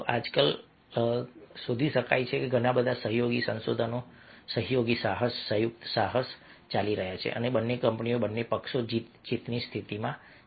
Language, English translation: Gujarati, nowadays one can find that lots of collaborative research, collaborative venture, joint ventures are going on and both the companies, both the parties are in win win situations